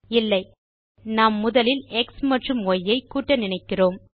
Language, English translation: Tamil, For example, how do we write First add x and y, then divide 5 by the result